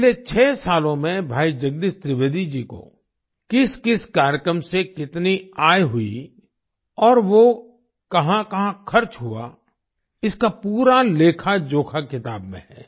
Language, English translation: Hindi, The complete account of how much income Bhai Jagdish Trivedi ji received from particular programs in the last 6 years and where it was spent is given in the book